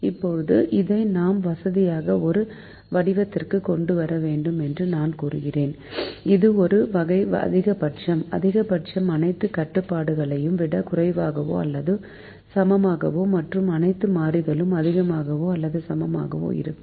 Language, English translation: Tamil, now we said that we have to bring this to a form which is comfortable to us, which is a form of maximizing: maximization with all constraints less than or equal to and all variables greater than or equal to